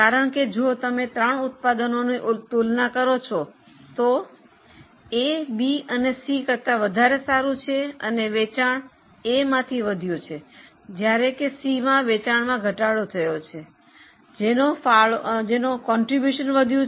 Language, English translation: Gujarati, Because if you compare the three products, product A is much better than B or C and they have increased the sales of A while have cut down the sale of C